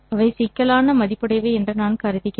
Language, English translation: Tamil, I am assuming them to be complex valued